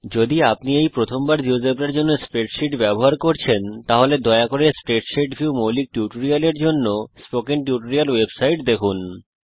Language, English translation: Bengali, If this is the first time you are using spreadsheets for geogebra please see the spoken tutorial web site for the spreadsheet view basic tutorial